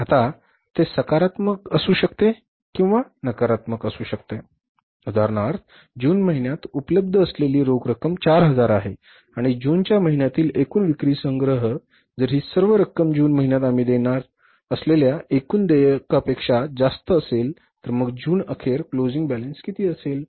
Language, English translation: Marathi, For example if there are 4,000 which is available in the month of June plus sales collection which we make in the month of June if the total amount is more than the total payments we are going to make in the month of June so what will be the closing balance